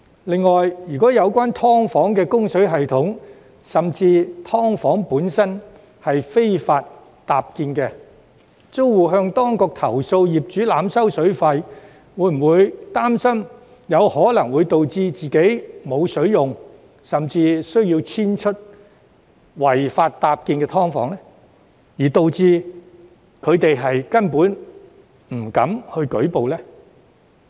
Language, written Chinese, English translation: Cantonese, 另外，如所涉"劏房"的供水系統甚至"劏房"本身屬非法搭建，租戶向當局投訴業主濫收水費，又會否擔心可能會導致自己無水可用，甚或需要遷出違法搭建的"劏房"，因而令他們根本不敢舉報呢？, Besides if the inside service of a subdivided unit or even the unit itself is an unauthorized structure the tenant will be worried about being suspended water supply or even evicted from the unit if he lodges a complaint to the authorities about being overcharged for water by the landlord which will deter the tenant concerned from reporting the case